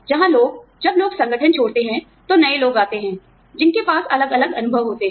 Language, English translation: Hindi, Where people, when people leave the organization, newer people come in, who have different experiences